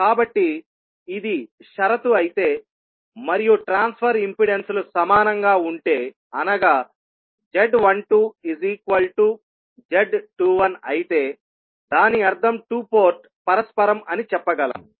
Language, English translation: Telugu, So, if this is the condition and the transfer impedances are equal that is Z12 is equal to Z21, it means that we can say that two port is reciprocal